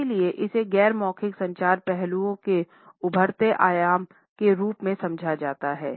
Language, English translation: Hindi, And therefore, it is understood as an emerging dimension of non verbal aspects of communication